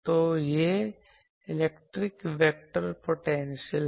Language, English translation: Hindi, So, this is the electric vector potential